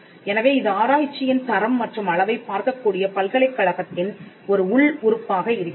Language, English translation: Tamil, So, this becomes an internal organ within the university which can look at the quality and the quantity of research